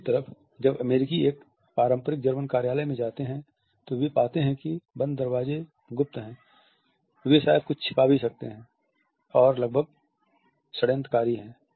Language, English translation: Hindi, On the other hand when Americans visit a traditional German office they find that the closed door are rather secretive they may even conceal something which is almost conspiratorial